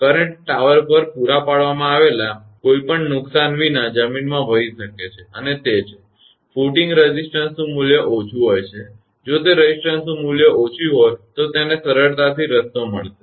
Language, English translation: Gujarati, The current may flow into the ground without any harm provided at the tower and it’s; footing have low resistance value, if it is a low resistance value, it will get an easy path